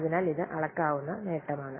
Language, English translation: Malayalam, So this can be measured